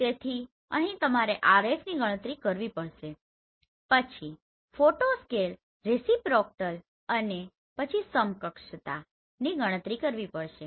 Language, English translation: Gujarati, So now onwards I will call it RF so that is for the photographs then photo scale reciprocal that is also for a photograph and equivalence map right